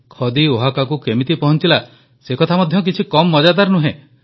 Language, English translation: Odia, How khadi reached Oaxaca is no less interesting